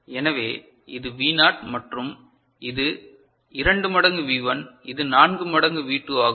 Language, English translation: Tamil, So, this V naught and this is 2 times V1, this is the 4 times V2